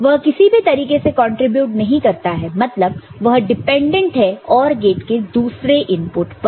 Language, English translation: Hindi, It does not contribute in any way means it is dependent on other inputs of the OR gate